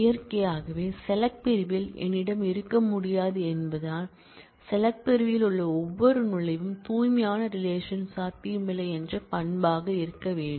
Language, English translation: Tamil, naturally; since in the select clause, I cannot have I mean every entry in the select clause has to be an attribute pure relations are not possible